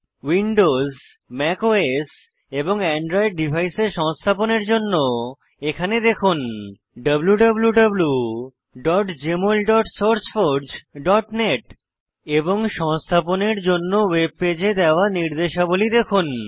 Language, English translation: Bengali, For installation on Windows, Mac OS and Android devices, please visit www.jmol.sourceforge.net And follow the instructions given on the web page to install